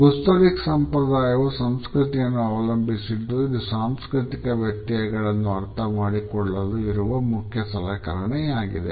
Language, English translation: Kannada, Gastronomic tradition is dependent on culture and it is an unavoidable tool for learning about cultural differences